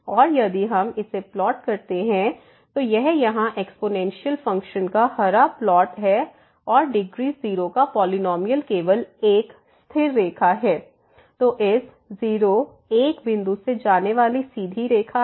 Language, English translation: Hindi, And if we plot this, so this is the green plot here of the exponential function and this polynomial of degree 0 is just a constant line; so the straight line going through this point